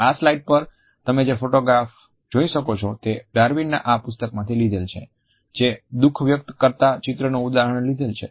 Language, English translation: Gujarati, The photographs which you can see on this slide are the illustration of grief from this book by Darwin